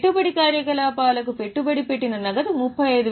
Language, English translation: Telugu, Net cash flow from investing activity is 35,600